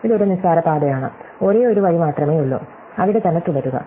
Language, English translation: Malayalam, Well, this is a trivial path, there is only one way, by just staying there